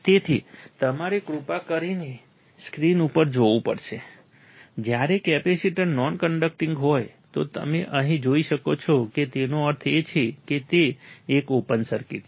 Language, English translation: Gujarati, So, you have to see on the screen please, when the capacitor is non conducting, you can see here right that means, it is an open circuit